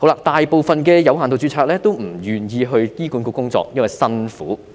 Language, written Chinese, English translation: Cantonese, 大部分有限度註冊醫生都不願意加入醫管局，因為工作辛苦。, Given the hardship most of the doctors with limited registration are unwilling to join HA